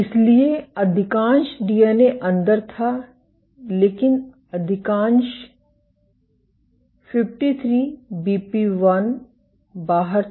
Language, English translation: Hindi, So, most of the DNA was inside, but most of the 53BP1 was outside